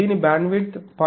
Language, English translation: Telugu, Its bandwidth it is 0